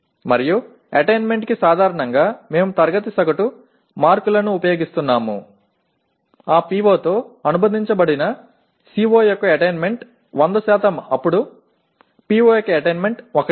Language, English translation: Telugu, And attainments generally we are using class average marks as the attainment of a CO associated with that PO is 100% then the attainment of PO is 1